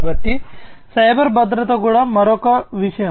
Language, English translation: Telugu, So, cyber security is also another consideration